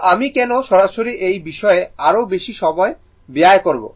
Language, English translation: Bengali, So, why I will spend more time on this directly I will do it